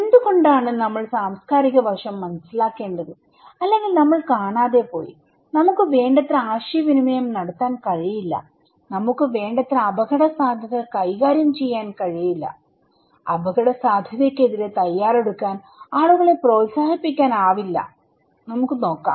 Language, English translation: Malayalam, Why we need to understand the cultural aspect otherwise, we were missing, we cannot communicate enough, we cannot manage risk enough, we cannot encourage people to prepare against risk, let us look